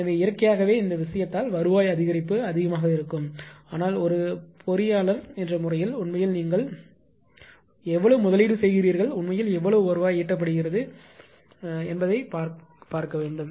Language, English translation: Tamil, So, naturally revenue increase due to this thing will be more, but let me tell you one thing that distribution actually as an as an engineer ah actually what we will look into you will look into how much you are investing and how much actually revenue being generated or collected, right